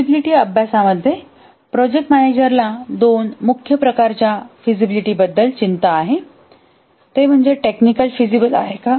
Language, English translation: Marathi, In the feasibility study, the project manager is concerned about two main types of feasibility